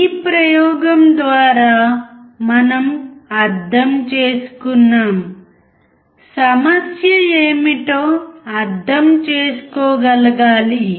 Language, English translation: Telugu, Through this experiment we have understood that we should be able to understand what the problem is